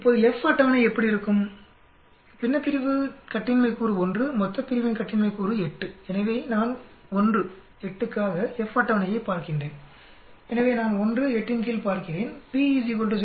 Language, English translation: Tamil, Now what will be the F table degrees of freedom numerator is 1 degrees of freedom, denominator is 8 degrees of freedom so I look into the table of F 1 comma 8 for so I will look under 1 comma 8, p is equal to 0